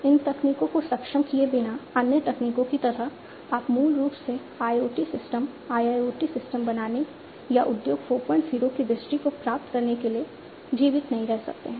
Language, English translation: Hindi, Without these enabling technologies, like the other technologies you are the technologies you could you know you cannot basically survive to build IoT systems, IIoT systems or to achieve the vision of Industry 4